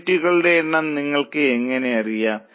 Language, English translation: Malayalam, How do you know the number of units